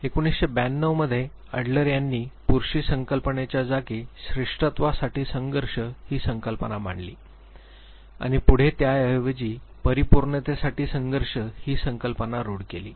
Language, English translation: Marathi, In nineteen hundred and twelve he replaced masculine protest with the term striving for superiority and later on it was replaced as striving for success or perfection